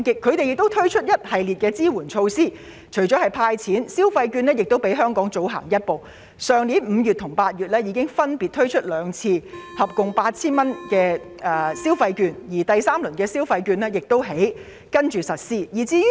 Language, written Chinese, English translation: Cantonese, 當地為此推出了一系列支援措施，除了"派錢"，消費券計劃亦比香港更早推出，去年5月和8月已經先後兩次派發合共 8,000 元的消費券，第三輪的消費券則會在稍後發放。, In response Macao introduces a series of support measures . Apart from cash handouts Macao took an earlier step than Hong Kong in launching a consumption voucher scheme distributing a total of 8,000 consumption vouchers to each citizen in last May and August . The third instalment of consumption vouchers will be distributed later